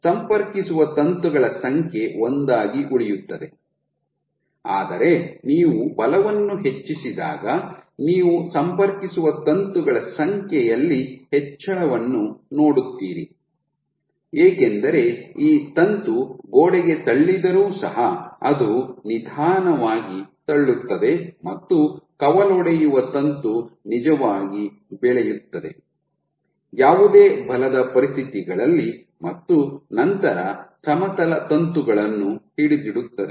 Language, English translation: Kannada, So, the number of contacting filaments will remain one, but as you increase the; you know the force you will see an increase in the number of contacting filaments, because this filament even if it pushes the wal, it will push so slowly that the branching filament can actually grow under no force conditions and then catch up with the horizontal filament